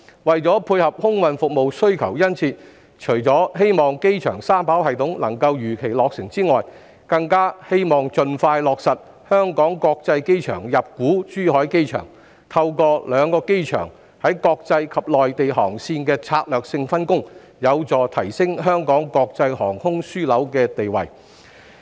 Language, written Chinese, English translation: Cantonese, 為配合空運服務的殷切需求，除了希望機場三跑系統能夠如期落成外，更希望盡快落實香港國際機場入股珠海機場，透過兩個機場在國際及內地航線的策略性分工，有助提升香港國際航空樞紐地位。, In order to dovetail with the strong demand for air freight services the Liberal Party hopes that the three - runway system at the airport will be commissioned as scheduled and the Airport Authority Hong Kong will inject equity in the Zhuhai Airport as soon as possible . Through the strategic division of labour between the two airports on international and mainland routes the status of Hong Kong as an international aviation hub can be enhanced